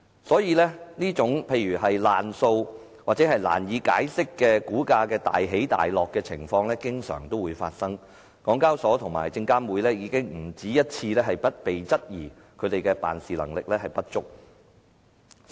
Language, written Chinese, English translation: Cantonese, 所以，例如"爛數"或難以解釋的股價大起大落的情況經常發生，而港交所及證監會已經不止一次被質疑辦事能力不足。, Therefore it is a common sight for bade debts or unexplainable wild fluctuations in stock prices are very frequent and the public have questioned SEHK and SFC have been questioned more than once for being incompetent